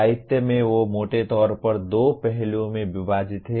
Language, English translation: Hindi, In the literature they are broadly divided into two aspects